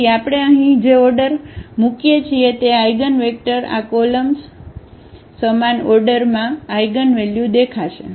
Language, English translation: Gujarati, So, the order we keep here placing as these columns of these eigenvectors in the same order these eigenvalues will appear